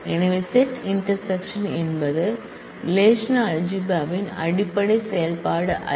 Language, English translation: Tamil, So, set intersection is not a fundamental operation of relational algebra